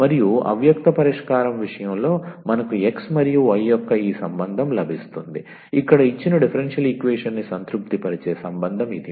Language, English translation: Telugu, And the in case of the implicit solution we get this relation of the x and y, relation here which satisfies the given differential equation